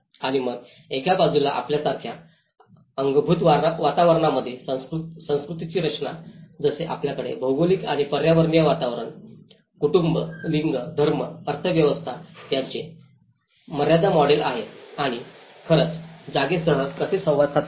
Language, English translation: Marathi, And then on one side the constructs of culture in the built environment like you have the Lim’s model of geography and ecological environment, family, gender, religion, economy and how these actually interact with the space